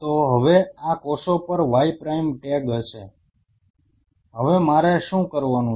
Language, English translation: Gujarati, So now, these cells will have a tag Y prime, now what I have to do